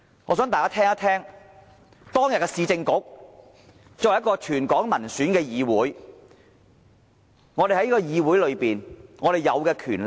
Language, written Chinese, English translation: Cantonese, 我想大家聽聽，當年市政局作為一個全港民選的議會擁有甚麼權力？, I would like Members to listen to this . What powers did the former Urban Council hold a council returned by territory - wide elections?